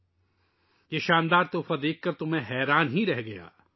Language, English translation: Urdu, I was surprised to see this wonderful gift